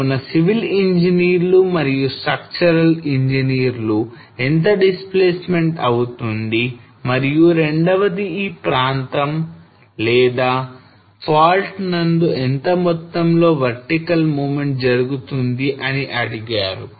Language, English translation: Telugu, So the civil engineer and the structural engineer they asked that okay what will be the displacement which is expected and second is how much will be the amount of vertical movement in this area or along this fault